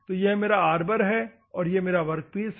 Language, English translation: Hindi, So, this is my Arbor, and this is a workpiece